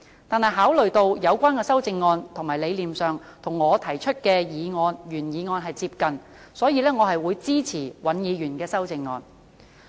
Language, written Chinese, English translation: Cantonese, 然而，考慮到有關的修正案在理念上與我提出的原議案接近，所以我會支持尹議員的修正案。, However considering that his amendment is similar to my original motion in principle I will support Mr WANs amendment